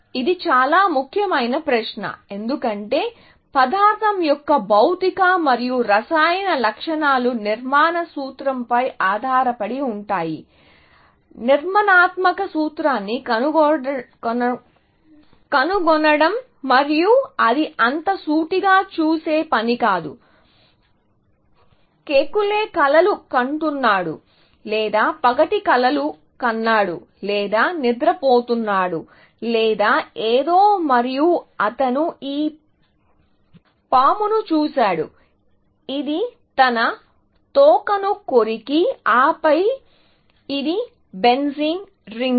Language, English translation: Telugu, structural formula, that it is behind, essentially, and to find the structural formula, is not such a straight forward task, and apparently, Kekule was dreaming, or day dreaming or sleeping, or something, and he saw this snake, which was biting his own tail, and then, it is benzene ring and so on, essentially